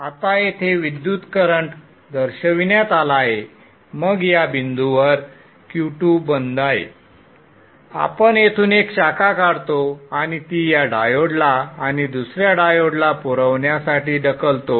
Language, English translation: Marathi, Now current flows along as shown here then at this point Q2 is off we will take a branch out here and push it to the supply to this diode and another diode here